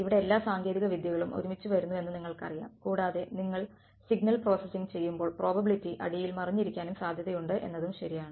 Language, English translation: Malayalam, Here all the techniques that come together you know and when you are doing signal processing there is probability hiding underneath also right